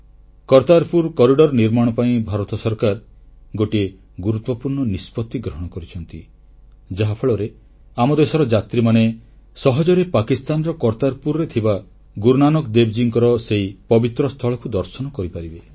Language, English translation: Odia, The Government of India has taken a significant decision of building Kartarpur corridor so that our countrymen could easily visit Kartarpur in Pakistan to pay homage to Guru Nanak Dev Ji at that holy sight